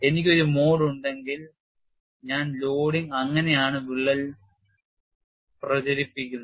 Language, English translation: Malayalam, If I have a mode one loading, that is how the crack propagates and that is what is shown